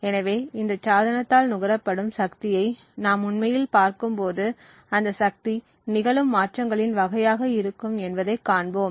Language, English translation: Tamil, So, therefore when we actually look at the power consumed by this device, we would see that the power would be a function of the type of transitions that happen